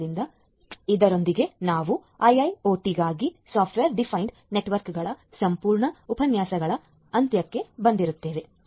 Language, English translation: Kannada, So, with this we come to an end of the entire lectures on software defined networks for a IIoT